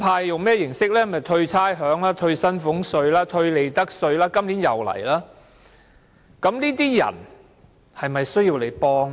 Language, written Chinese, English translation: Cantonese, 就是退差餉、退薪俸稅、退利得稅，今年也是這樣做。, That is by means of concessions of rates salary tax and profits tax . It is the same this year